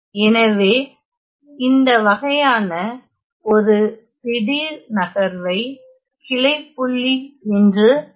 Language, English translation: Tamil, So, this sort of a with the jump we call this as the branch point